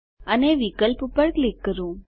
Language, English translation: Gujarati, And Click on the option